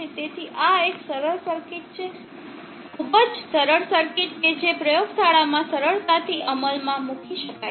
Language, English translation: Gujarati, So this is a simple circuit, very simple circuit that can be easily implemented in the laboratory